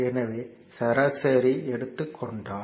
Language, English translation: Tamil, So, if you take the average